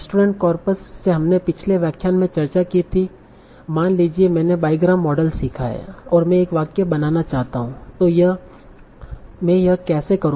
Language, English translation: Hindi, So from restaurant corpus that we discussed in the last lecture, suppose I have learned my diagram model and I want to generate a sentence